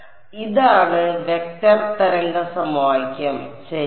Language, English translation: Malayalam, So, this is the vector wave equation ok